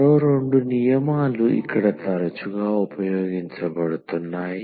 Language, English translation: Telugu, There are two more rules frequently used here